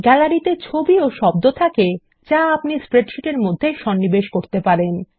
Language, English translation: Bengali, Gallery has image as well as sounds which you can insert into your spreadsheet